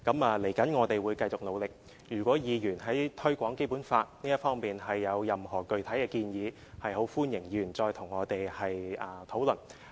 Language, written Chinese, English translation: Cantonese, 未來我們會繼續努力，如果議員在推廣《基本法》這方面有任何具體建議，很歡迎議員跟我們討論。, We will make continuous efforts in the future and if Members have any concrete proposal on the promotion of the Basic law they are very much welcome to discuss with us